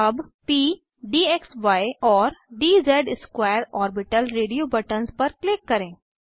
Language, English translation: Hindi, Let us click on p, d xy and d z square orbital radio buttons